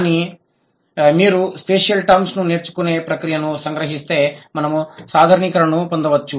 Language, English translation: Telugu, So, if you summarize the process of acquisition of spatial terms, this is what we can draw the generalization